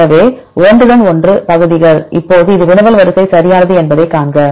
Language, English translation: Tamil, So, the overlapping segments now see this is the query sequence right